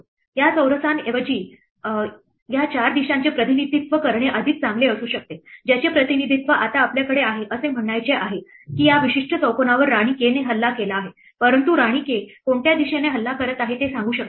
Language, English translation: Marathi, It might be better to represent these 4 directions rather than the squares itself the representation we have now is to say that this particular square is attacked by queen k, but it does not tell us from which direction queen k is attacking right it does not tell us whether queen k is attacking it from the row or the column or the diagonal